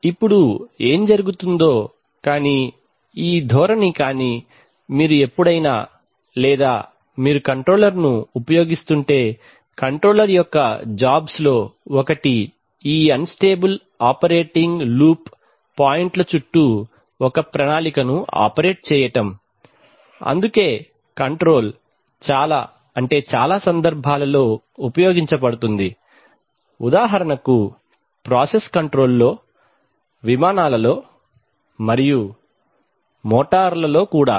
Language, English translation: Telugu, Now what happens is that but this tendency but you can always or if you use a controller one of the jobs of the controller is to operate a plan around unstable operating loop points, that is why control is used in many, many cases for example, in process control, in aircrafts, and also in motor